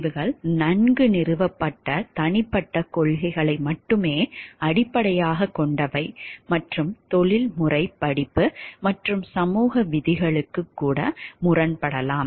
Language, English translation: Tamil, Decisions are based only on well established personal principles and may contradict professional course and even society rules